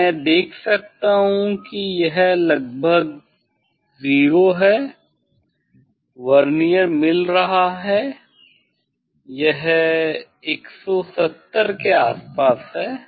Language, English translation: Hindi, it is around I can see 0 is of Vernier is meeting it is around 170